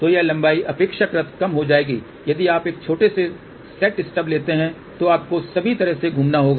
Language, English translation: Hindi, So, this length will be relatively shorter compared to if you take a short set get stub then you will have to move all the way around